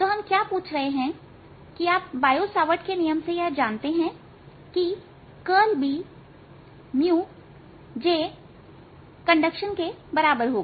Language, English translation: Hindi, so what we are asking is: you know from the bio savart law that curl of b is equal to mu j conduction